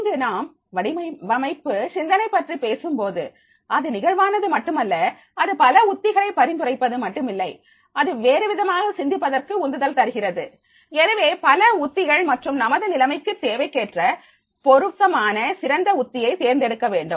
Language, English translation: Tamil, So, here when the design thinking we are talking about it is not only flexible, it is not only suggesting the different strategies, giving a stimulus to think differently, so different strategies and choose the one base strategy that meets the requirement of the situations